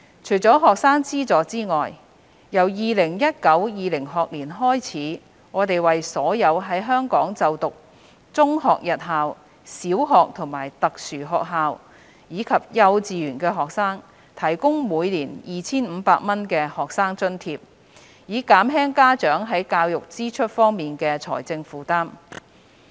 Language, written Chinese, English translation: Cantonese, 除學生資助外，自 2019-2020 學年起，我們為所有在香港就讀中學日校、小學和特殊學校，以及幼稚園的學生提供每年 2,500 元的學生津貼，以減輕家長在教育支出方面的財政負擔。, In addition to student financial assistance from the 2019 - 2020 school year onwards an annual student grant of 2,500 will be provided to all students attending secondary day schools primary and special schools as well as kindergartens in Hong Kong to alleviate the financial burden of parents in meeting education expenses